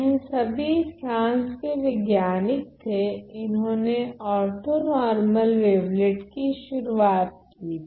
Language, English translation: Hindi, So, these are all French scientists and Mallat, they introduced the concept of orthonormal wavelets ok